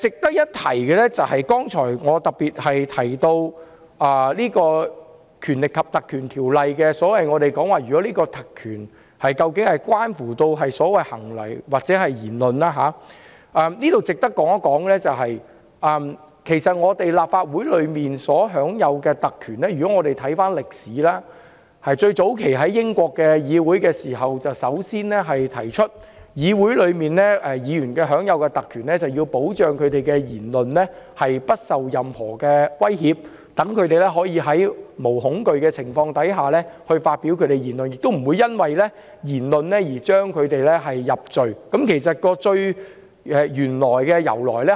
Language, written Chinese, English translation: Cantonese, 我剛才特別提到《條例》賦予的特權關乎議員的行為或言論，就此，值得一提的是，關於議員在立法會享有的特權，如果我們回顧歷史，最早期是英國議會首先提出，議會議員享有特權是為了保障他們的言論不受任何威脅，讓議員可以無所畏懼地發表言論，亦不會因言入罪，這便是有關特權的由來。, Just now I particularly mentioned that the privileges conferred by PP Ordinance are related to Members conduct or speeches . In this connection a point worth mentioning is that regarding the privileges enjoyed by Members in the Legislative Council if we look back in history we will see that it was the British Parliament which first suggested that Members of Parliament were entitled to privileges to protect their speeches from any threat thus enabling them to speak freely without fear . Neither would they be convicted because of what they said